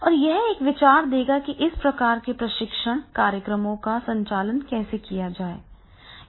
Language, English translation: Hindi, So that will give an idea that is the how this type of the training programs that can be conducted